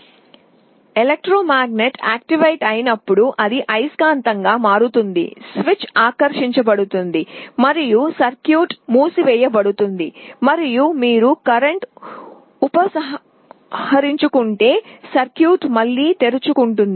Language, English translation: Telugu, When the electromagnet is activated, it becomes a magnet, the switch is attracted and the circuit closes and if you withdraw the current the circuit again opens